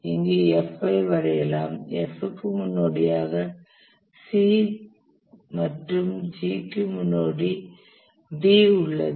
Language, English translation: Tamil, We draw D here which has B as the predecessor and then E has B as the predecessor